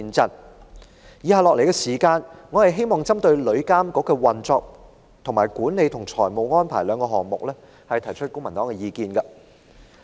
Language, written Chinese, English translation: Cantonese, 接下來，我希望就旅遊業監管局的運作與管理及財務安排兩方面，提出公民黨的意見。, Next I would like to express the views of the Civic Party on the operation and financial management of the Travel Industry Authority TIA